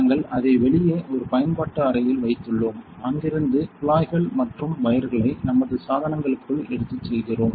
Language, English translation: Tamil, So, we have kept it outside in a utility room and we are taking the tubes and wires from there into our equipment